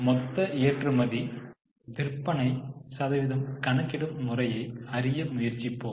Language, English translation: Tamil, We are trying to look at the export as a percentage of total sales